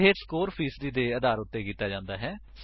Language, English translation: Punjabi, This is done based on the score percentage